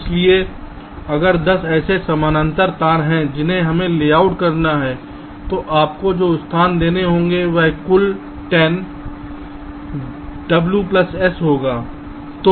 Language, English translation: Hindi, so if there are ten such parallel wires we have to layout, the total amount of space you have to give will be ten into w plus s